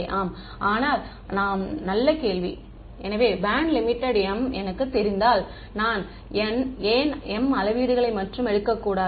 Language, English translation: Tamil, Yeah, but yeah good question; so, if I know the band limit to be m why should I not take m measurements only